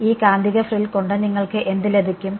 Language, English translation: Malayalam, What do you get with this magnetic frill